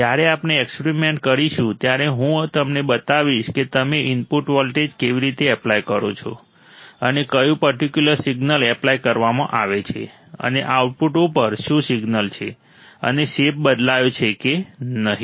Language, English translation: Gujarati, When we perform the experiments, I will show you how you are applying the input voltage and which particular signal is applied and what is the signal at the output and whether the shape has changed or not